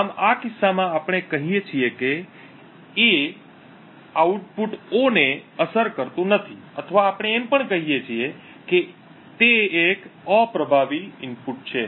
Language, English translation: Gujarati, Thus, in this case we say that A does not affect the output O or we also say that A is an unaffecting input